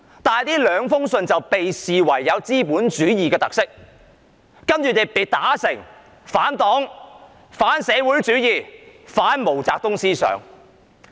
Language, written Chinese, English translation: Cantonese, 但是，這兩封信被視為有資本主義特色，然後他被打成反黨、反社會主義、反毛澤東思想。, However the two letters were regarded by CPC as carrying the features of capitalism and he was then criticized for being anti - Party anti - socialism and anti - Maoism